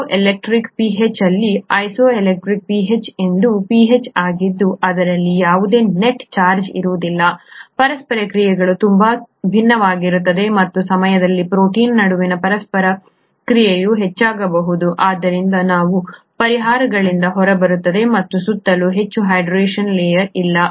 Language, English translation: Kannada, At the isoelectric pH, isoelectric pH is a pH at which there is no net charge, the interactions would be very different and at that time, the interaction between the proteins could be higher, so they fall out of solutions; there is no longer much of the hydration layer around it